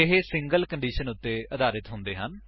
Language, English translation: Punjabi, These are based on a single condition